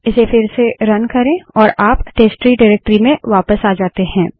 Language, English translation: Hindi, Run it again and it will take us back to the testtree directory